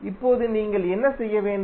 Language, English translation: Tamil, Now, what you have to do